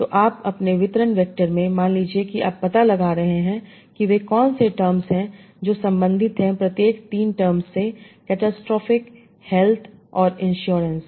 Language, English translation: Hindi, So in your distribution reactor, suppose you are finding out what are the terms that are related to each of the three terms, catastrophic health and insurance